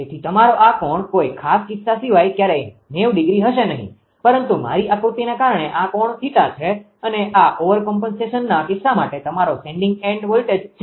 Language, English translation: Gujarati, So, and this is your this angle is never 90 degree right; it cannot be unless and until some special case, but because of my drawing right, but this angle is theta and this is your sending and voltage at the over compensation cases